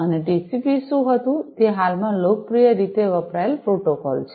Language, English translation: Gujarati, And, what was TCP is a popularly used protocol present